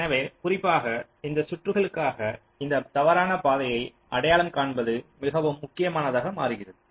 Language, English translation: Tamil, so for those circuits in particular, this false path identification becomes very important